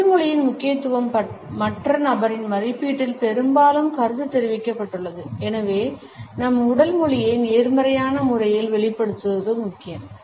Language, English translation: Tamil, The significance of body language has often been commented on in our appraisal of the other person and therefore, it is important for us to exhibit our body language in a positive manner